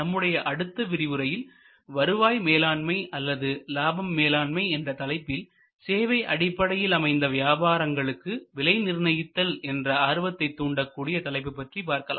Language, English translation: Tamil, We are going to focus in the next lecture on revenue management or yield management, an interesting area for pricing considerations in the services business